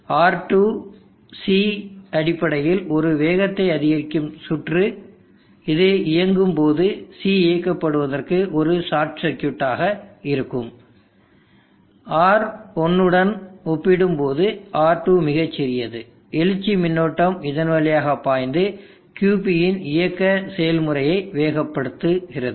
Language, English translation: Tamil, R2C is basically as speed up circuit when this terms on C will be a short for turned on R2 is very small compared to R1 very large, such current flows through it and speeds of the terminal process of QP